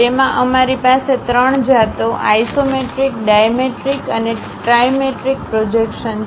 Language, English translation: Gujarati, In that we have 3 varieties isometric, dimetric and trimetric projections